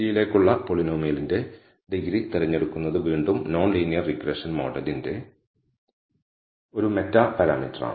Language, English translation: Malayalam, The choice of the degree of the polynomial to t is again the a meta parameter of the non linear regression model